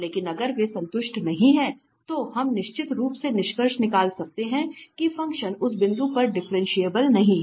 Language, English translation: Hindi, But if they are not satisfied, then we can definitely conclude that the function is not differentiable at that point